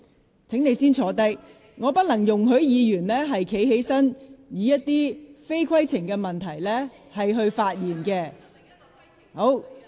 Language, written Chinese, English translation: Cantonese, 黃議員，請先坐下，我不能容許議員站起來，藉着提出不屬規程問題的事宜而發表言論。, Dr WONG please sit down first; I cannot allow a Member to stand up to speak about matters other than a point of order